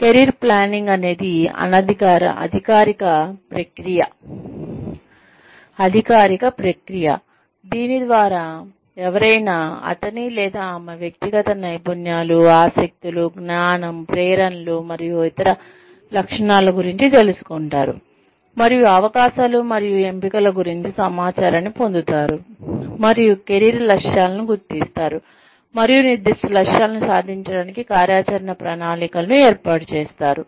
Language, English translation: Telugu, Career Planning is the formal process, through which, someone becomes aware of, his or her personal skills, interests, knowledge, motivations, and other characteristics, and acquires information about, opportunities and choices, and identifies career goals, and establishes action plans, to attain specific goals